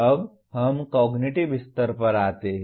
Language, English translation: Hindi, Now we come to the cognitive level